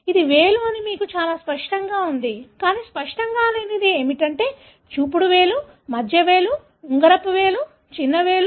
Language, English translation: Telugu, It is very obvious to you that it’s a finger, but what is not obvious is, is it an index finger, is it the middle finger, is it the ring finger, is it the small finger